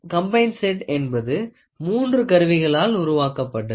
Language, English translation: Tamil, A combined set has three devices built into it